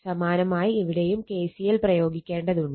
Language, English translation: Malayalam, So, similarly you have to apply KCL here, you have to apply KCL here